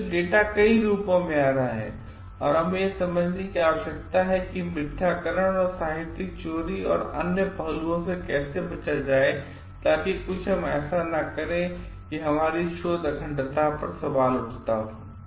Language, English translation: Hindi, So, datas coming in many form and we need to understand how to avoid falsification and plagiarism and the other aspects, so that we do not like do something which questions our research integrity